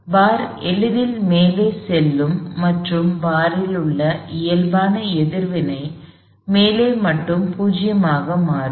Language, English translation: Tamil, The bar would get to the top easily and the normal reaction in the bar would become 0 only at the top